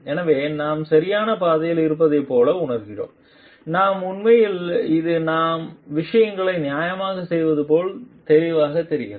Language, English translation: Tamil, So, that we are like on the right track we actually which is evident like we are doing things fairly